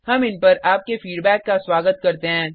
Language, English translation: Hindi, We welcome your feedback on these